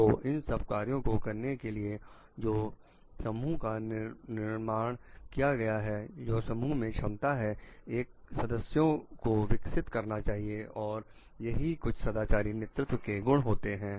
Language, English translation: Hindi, So, carrying out those tasks for which the group was created so developing potential members for the group these are like some qualities of moral leadership